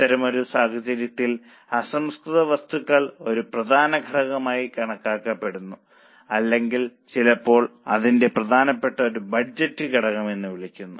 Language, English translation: Malayalam, In such a scenario, raw material is considered as a key factor or sometimes it's called as a principal budgetary factor